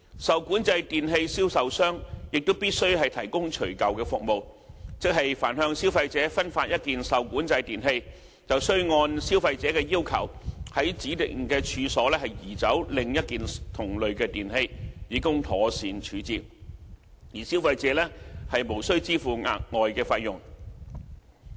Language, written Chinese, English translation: Cantonese, 受管制電器銷售商亦必須提供除舊服務，即凡向消費者分發一件受管制電器，須按消費者的要求，從指定的處所移走另一件同類的電器，以供妥善處置，而消費者無須支付額外費用。, A seller of REE must also provide removal services which means that after distributing an item of REE to a consumer the seller is required to upon the request of the consumer arrange for the removal of an item of REE of the same class from a premises designated by the consumer for proper disposal free of charge